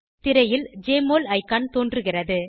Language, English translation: Tamil, Jmol icon appears on the screen